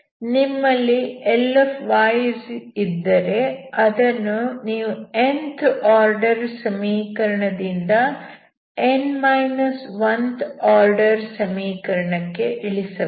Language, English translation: Kannada, So you will have Ly you can reduce from nth order equation into th order equation